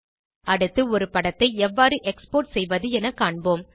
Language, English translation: Tamil, Next, lets learn how to export an image